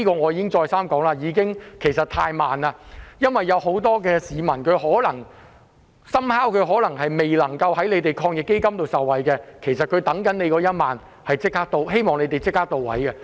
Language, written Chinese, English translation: Cantonese, 我已經再三說，真的是太慢，因為很多市民可能基於個別原因而未能受惠於防疫抗疫基金，他們正等待着這1萬元，我希望政府可以做得到位。, I have repeatedly said that this is too slow because many people due to various reasons may not be eligible to any benefits from the Anti - epidemic Fund and they are in urgent need of the 10,000 . I hope the Government can do its job efficiently